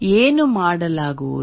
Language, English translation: Kannada, What will be done